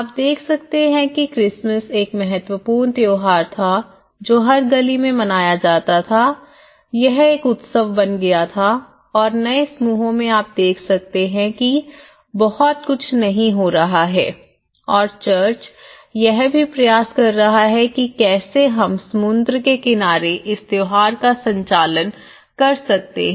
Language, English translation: Hindi, Like, you can see the Christmas was one of the important festival live in every street it is becoming a celebration and in the new clusters you can see that not much is happening and in fact, the church is also making its efforts how we can conduct the open masses in the sea shore and things like that